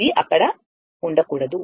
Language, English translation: Telugu, This should not be there